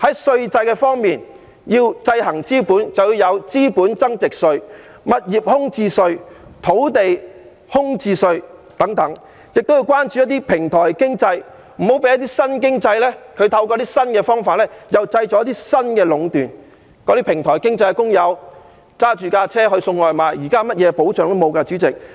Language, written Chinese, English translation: Cantonese, 稅制方面要制衡資本，便要有資本增值稅、物業空置稅和土地空置稅等，我們亦要關注一些平台經濟，別讓新經濟透過新方法又製造出新的壟斷，主席，這些平台經濟的工友開車送外賣，他們現在甚麼保障也沒有。, We must likewise show concern about the rise of platform economy and avoid the creation of new monopoly by new means in new economic activities . President food delivery drivers in this platform economy are without any protection at present . And imposing rent control on subdivided units should likewise be included as the next step